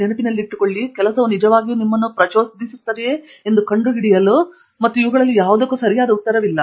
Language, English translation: Kannada, To figure out whether the work really excites you, and remember in all of these there is no correct answer